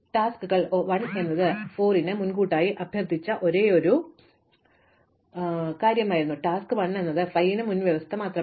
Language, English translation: Malayalam, So, tasks 1 was the only prerequisite for 4, task 1 was the only prerequisite for 5 it has been completed